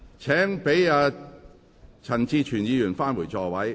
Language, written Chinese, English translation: Cantonese, 請讓陳志全議員返回座位。, Please let Mr CHAN Chi - chuen return to his seat